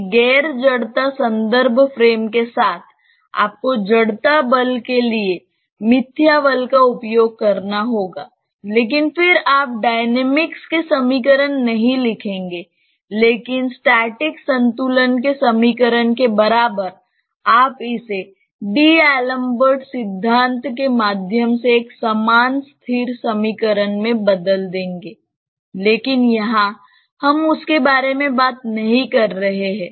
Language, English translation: Hindi, With a non inertial reference frame, you have to use a pseudo force for the inertia force; but that then you do not write equation of dynamics, but equivalent to equation of static equilibrium, you convert that into an equivalent static equation through D Alembert principle, but here we are not talking about that